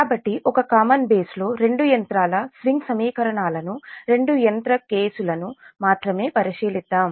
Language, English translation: Telugu, so let us consider the swing equations of two machines on a common base will consider only two machine case